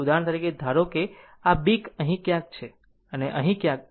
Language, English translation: Gujarati, For example, suppose if B is somewhere here, and A is somewhere here